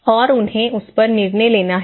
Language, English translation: Hindi, And they have to take decisions on that